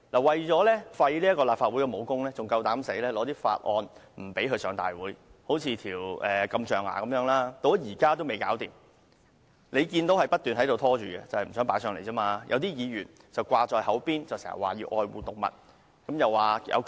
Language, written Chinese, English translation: Cantonese, 為了廢除立法會的武功，他們竟敢阻止法案提交立法會，例如禁止象牙的法案，現時仍未能處理，該項法案不斷被拖延，正因他們不想把有關法案提交立法會。, They did have the nerve to prevent bills from being submitted to this Council in an attempt to nullify its powers as a legislature . For instance the Bill on banning the import and re - export of ivory has yet to be dealt with so far which has been dragged on indefinitely because they do not want to submit it to this Council